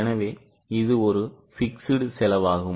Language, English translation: Tamil, So, this is more likely to be a fixed cost